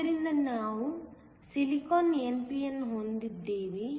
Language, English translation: Kannada, So, you have a silicon n p n